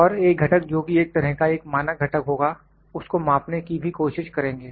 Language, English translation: Hindi, And also will try to measure one component that would be kind of a standard component